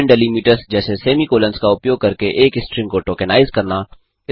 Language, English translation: Hindi, Tokenize a string using various delimiters like semi colons